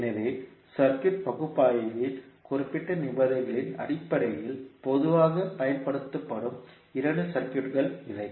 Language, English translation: Tamil, So, these are the two commonly used circuits based on the specific conditions in the analysis of circuit